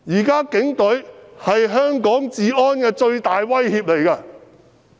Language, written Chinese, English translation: Cantonese, 警隊現在是香港治安的最大威脅。, The Police are now the biggest threat to the law and order in Hong Kong